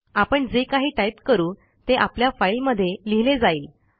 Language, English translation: Marathi, Whatever we type would be written into the file so type some text